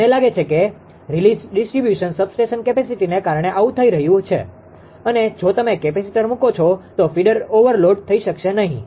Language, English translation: Gujarati, I think this is happening because of the distribution substation capacity release right and if you put capacitor then feeder may not be overloaded